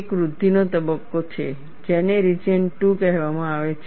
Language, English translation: Gujarati, There is a growth phase which is called the region 2